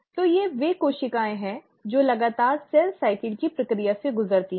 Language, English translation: Hindi, So these are the most frequent cells which undergo the process of cell cycle